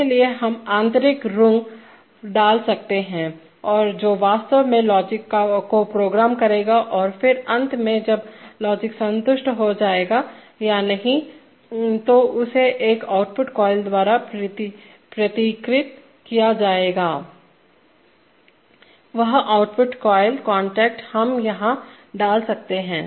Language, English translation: Hindi, For that we can put extra rungs and the which will actually program the logic and then finally when the logic is satisfied or not that is that will be simplified by an, that will be symbolized by an output coil, that output coil contact we can put it here